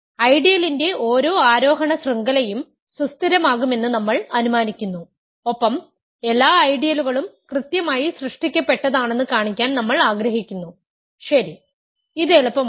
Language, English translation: Malayalam, We assume that every ascending chain of ideals stabilizes and we want to show that every ideal is finitely generated, OK this is easier